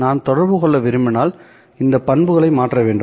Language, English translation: Tamil, If I want to communicate, I have to change these characteristics